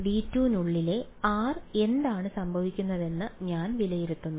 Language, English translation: Malayalam, I evaluate take r inside V 2 what will happen